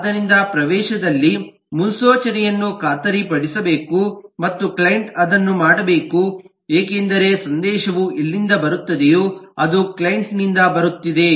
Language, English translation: Kannada, so precondition is to be guaranteed at the entry and the client must do that because this is where the message is coming from, so it is coming from the client